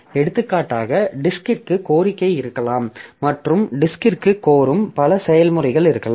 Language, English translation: Tamil, So, for example, maybe there are requests to the disk and there are many processes which are requesting to the disk